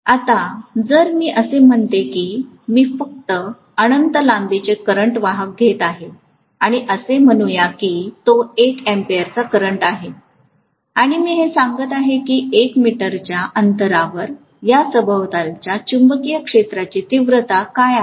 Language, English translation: Marathi, Now if I say that I am just taking a current carrying conductor of infinite length and let us say it is carrying a current of 1 ampere and I am looking at what is the magnetic field intensity around this at a distance of say 1 meter